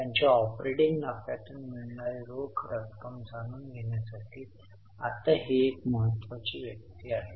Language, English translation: Marathi, Now this is a very important figure to know the cash generated from their operating profits